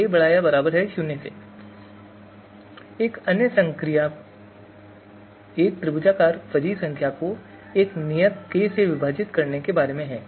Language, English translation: Hindi, So you know, another another operation which is about of division of a triangular fuzzy number by a constant k